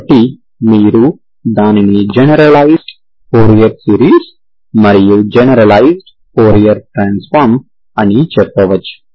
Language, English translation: Telugu, You can say generalised fourier series and generalised fourier transform